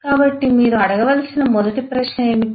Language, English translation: Telugu, so what is the first question you need to ask